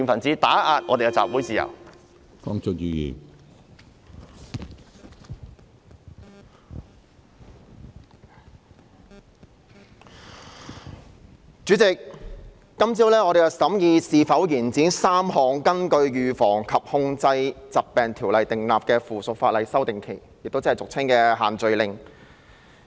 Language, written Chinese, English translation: Cantonese, 主席，我們在今天早上審議應否延展3項根據《預防及控制疾病條例》訂立的附屬法例的修訂期限，其中包括俗稱"限聚令"的事宜。, President this morning we are going to consider whether or not to extend the period for amending the three pieces of subsidiary legislation made under the Prevention and Control of Disease Ordinance and the matter concerns what we commonly call the social gathering restriction